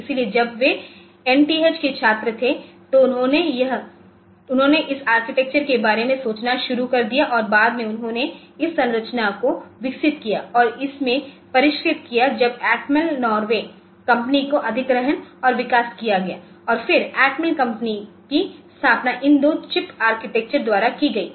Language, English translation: Hindi, So, when they when the student at NTH they started the thinking about this architecture and later on they developed the structure and refined it into when to acquire and develop the company Atmel Norway and then the Atmel company was founded by these two chip architects